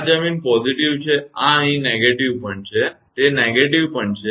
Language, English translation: Gujarati, This is ground positive, this is negative here also it is negative